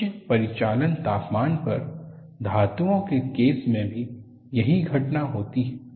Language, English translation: Hindi, A similar phenomena occurs in the case of metals at high operating temperatures